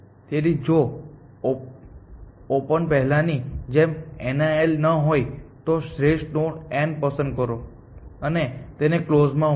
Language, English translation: Gujarati, So, as before if open is not equal to nil, pick best node n and add it to closed